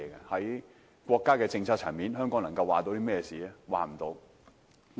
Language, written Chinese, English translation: Cantonese, 在國家政策層面上，香港並不能作主。, Hong Kong has no say when it comes to state policies